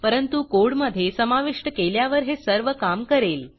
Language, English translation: Marathi, But once you add in the code, you can have everything working